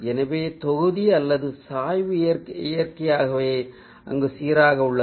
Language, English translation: Tamil, so the volume or the gradient naturally balanced there